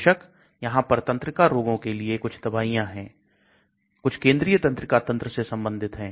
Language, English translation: Hindi, Of course, there are drugs which are meant for neurodiseases, central neural system related diseases